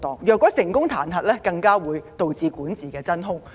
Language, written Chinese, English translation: Cantonese, 如果成功彈劾，更會導致管治真空。, If the Chief Executive is impeached there will be a governance vacuum